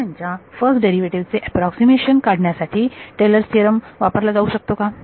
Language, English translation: Marathi, What will Taylor’s theorem can Taylor’s theorem be used to give an approximation for first derivative of a function yes what should I do